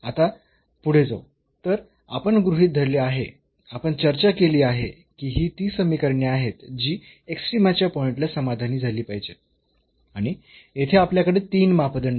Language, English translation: Marathi, Now, moving further so, we have considered we have discussed that these are the equations which has to be satisfied at the point of a extrema and we have here 3 parameters